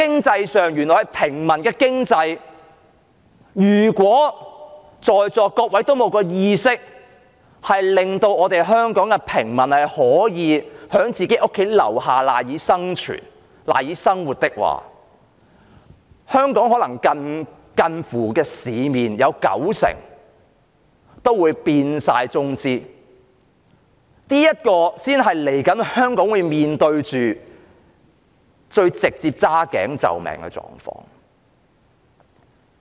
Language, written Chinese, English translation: Cantonese, 在平民經濟上，如果在座各位均沒有意識令香港的平民可以在自己的住所附近找到賴以生存和生活的空間時，香港的市面便可能會有近乎九成的企業由中資擁有，這才是香港未來需要面對最直接"揸頸就命"的狀況。, In respect of a civilian economy if Members are not aware of the importance of enabling ordinary Hong Kong people to find some room of survival near their residence almost 90 % of the businesses in Hong Kong may be acquired by Chinese enterprises . That will be the most direct outcome in which Hong Kong people will have to tolerate reluctantly in the future . Chairman I know you are a businessman